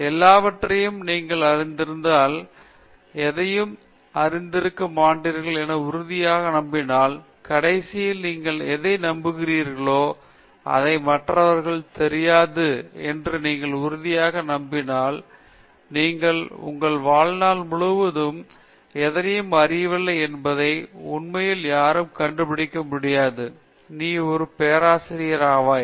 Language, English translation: Tamil, The last step will be if you are convinced that you know everything, if you are convinced that you don’t know anything, if you are convinced that others also don’t know anything, but you are also convinced that in your whole life time nobody can actually find out that you don’t know anything, then you become a Prof